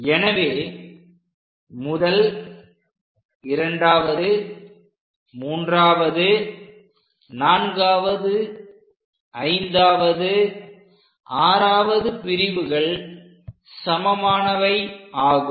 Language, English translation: Tamil, So, first part, second part, third part, fourth, fifth, sixth these are equal parts